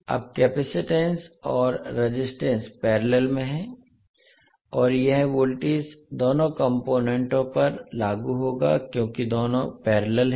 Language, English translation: Hindi, Now the capacitance and resistance are in parallel and this voltage would be applied across both of the components because both are in parallel